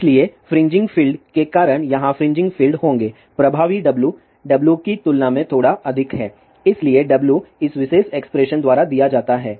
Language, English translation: Hindi, So, because of the fringing field there will be fringing fields here effective W is slightly greater than W